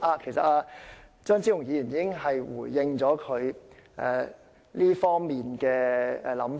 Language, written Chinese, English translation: Cantonese, 其實，張超雄議員已經回應了他這方面的想法。, In fact Dr Fernando CHEUNG has already responded to his view in this regard